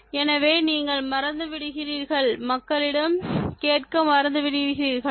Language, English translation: Tamil, so you keep forgetting and you forgot to ask people